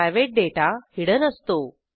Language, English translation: Marathi, The private data is hidden